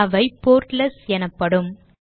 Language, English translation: Tamil, These are called portlets